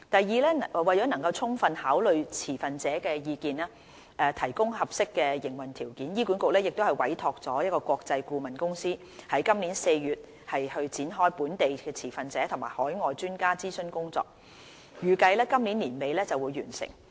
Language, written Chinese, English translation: Cantonese, 二為能充分考慮持份者的意見，提供合適的營運條件，醫管局已委託國際顧問公司於今年4月展開本地持份者及海外專家諮詢工作，預計於今年年底完成。, 2 To fully consider the views of stakeholders and provide appropriate operational conditions HA has commissioned an international consultant to conduct a consultation exercise with local stakeholders and overseas experts since April 2017 and the exercise is expected to complete at the end of this year